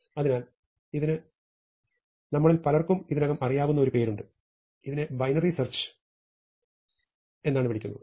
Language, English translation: Malayalam, So, this has a name which many of you may already know, this is called binary search